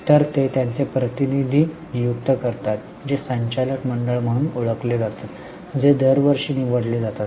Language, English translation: Marathi, So, they appoint their representatives which are known as board of directors, which are elected every year